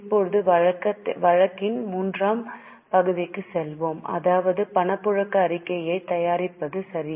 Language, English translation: Tamil, Now let us go to the third part of the case that is for preparation of cash flow statement